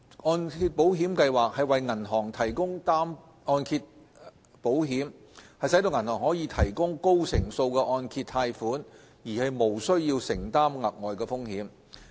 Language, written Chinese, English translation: Cantonese, 按保計劃為銀行提供按揭保險，使銀行可以提供高成數的按揭貸款而無須承擔額外的風險。, MIP provides mortgage insurance to banks thereby enabling banks to provide mortgage loans with higher LTV ratio without incurring additional credit risk